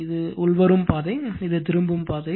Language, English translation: Tamil, This is incoming path; this is return path